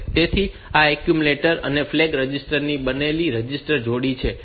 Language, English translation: Gujarati, So, this is the register pair made of the accumulator and the flag register